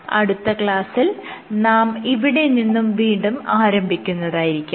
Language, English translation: Malayalam, In the next class, we will continue from this part